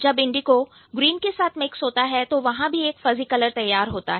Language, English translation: Hindi, When the indigo merges with, let's say, green, there is a fuzzy color between these two